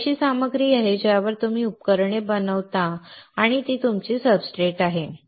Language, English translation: Marathi, It is a material on which you fabricate devices and that is your substrate